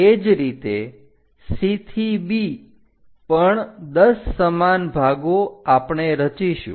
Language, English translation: Gujarati, Similarly, from C to B also 10 equal parts we are going to construct